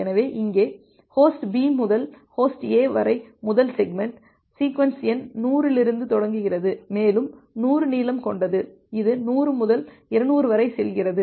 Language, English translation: Tamil, So, here from host B to host A, it may happen that the first segment is starting from sequence number 100, and has a length 100 so, it goes from 100 to 200